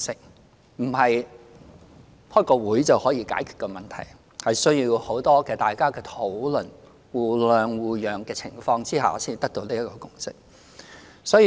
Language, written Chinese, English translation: Cantonese, 這不是開一次會議便可以解決的問題，而是需要大家很多的討論，在互諒互讓的情況下才得到這個共識。, The problem can in no way be resolved at one single meeting and a lot of discussions based on mutual understanding and mutual accommodation are required before a consensus is reached